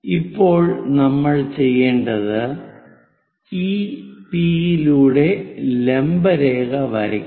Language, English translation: Malayalam, Now what we have to do is, draw a vertical line through this P